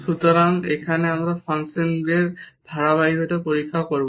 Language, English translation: Bengali, So, here we will check the continuity of the functions